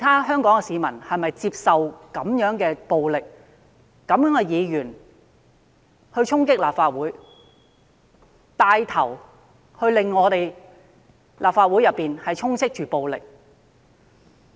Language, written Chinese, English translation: Cantonese, 香港市民是否接受這樣的暴力、有這樣的議員默許他人衝擊立法會，或牽頭令立法會內充斥暴力？, Do Hong Kong people accept this kind of violence or accept such a Member who has given tacit consent to other people to storm the Legislative Council Complex or has taken the lead to fill the Complex with violence?